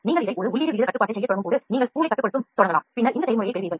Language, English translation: Tamil, When you start doing a feed rate control over this you can start controlling the spool and then you get this process